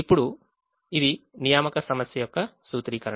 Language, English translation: Telugu, now this is the formulation of the assignment problem